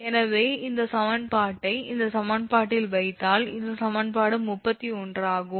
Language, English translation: Tamil, Therefore, this equation you put this boundary condition in this equation then you will get it is equation 36